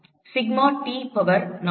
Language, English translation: Tamil, Sigma T power four